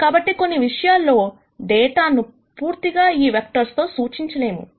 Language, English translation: Telugu, So, in some sense the data cannot be completely represented by these vectors